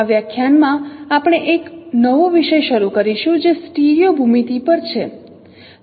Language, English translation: Gujarati, In this lecture we will start a new topic that is on stereo geometry